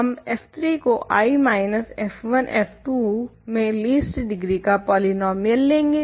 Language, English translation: Hindi, We simply take f 3 to be a least degree polynomial in I minus f 1 f 2 now, right